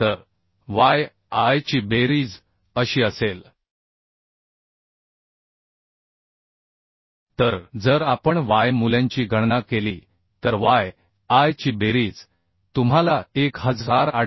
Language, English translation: Marathi, 14 right So this is what the summation of yi will be So if we calculate those value so summation of yi we will get as 1828